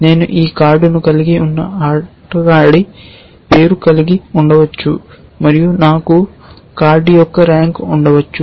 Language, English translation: Telugu, I might have the name of a player who is holding that card and I might have rank of the